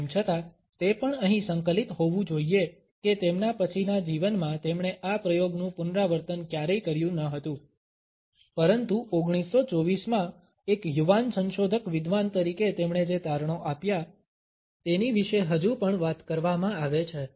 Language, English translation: Gujarati, Although, it must also be integrated here that in his later life he never repeated this experiment, but the findings which he stumbled upon as a young research scholar in 1924 are still talked about